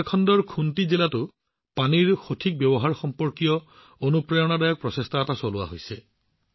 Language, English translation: Assamese, An inspiring effort related to the efficient use of water is also being undertaken in Khunti district of Jharkhand